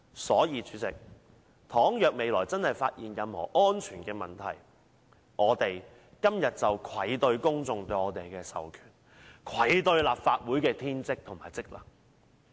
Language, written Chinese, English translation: Cantonese, 所以，主席，倘若未來真的發現任何工程安全問題，我們今天便愧對公眾對我們的授權，愧對立法會的天職和職能。, So President should we really find any construction safety problem with SCL in the future what we are doing today is a disservice to our popular mandate and the Legislative Councils bounden duty and functions